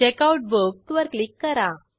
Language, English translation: Marathi, Click on Checkout Book